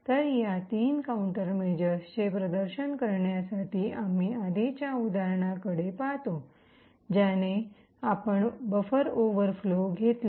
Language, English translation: Marathi, So, to demonstrate these three countermeasures we look at the previous example that we took of the buffer overflow